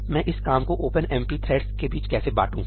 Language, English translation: Hindi, So, how do I divide this work amongst OpenMP threads